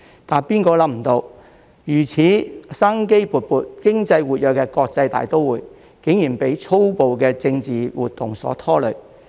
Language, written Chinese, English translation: Cantonese, 誰也想不到，如此生機勃勃、經濟活躍的國際大都會，竟然被粗暴的政治活動所拖累。, No one could have imagined that such a vibrant and economically active cosmopolitan city would be dragged down by brutal political activities